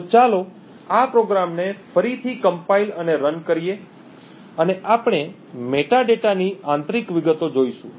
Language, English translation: Gujarati, So, let us compile and run this program again and we see the internal details of the metadata